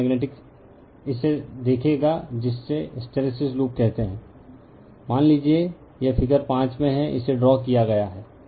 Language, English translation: Hindi, So, magnetic you will see this a your what you call hysteresis loop suppose, this is in figure 5, it has been drawn